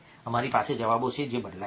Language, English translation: Gujarati, we have answers which vary